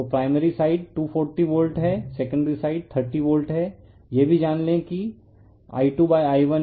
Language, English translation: Hindi, So, primary side is 240 volt secondary side is 30 volts also we know that I2 / I1 = K